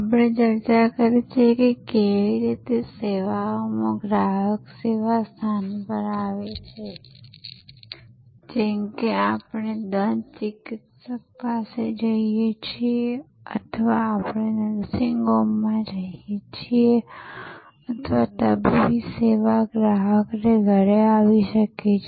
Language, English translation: Gujarati, We have discussed how in services, consumers come to the service location like we go to the dentist or we go to a nursing home or the medical service can come to the consumer at home